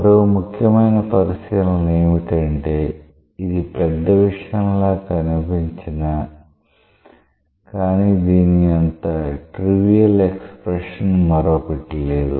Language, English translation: Telugu, The other important observation is that although; it looks something which is non trivial, but actually there cannot be a more trivial expression than this